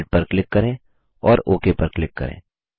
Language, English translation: Hindi, Lets click Red and click OK